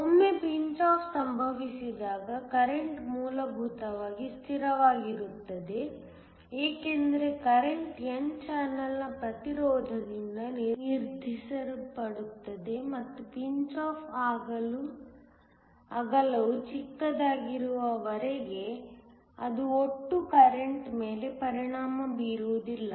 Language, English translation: Kannada, Once pinch off occurs the current is essentially a constant because the current is determined by the resistance of the n channel and as long as the pinch off width is small, it will not affect the total current